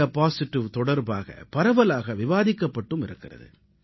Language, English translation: Tamil, indiapositive has been the subject of quite an extensive discussion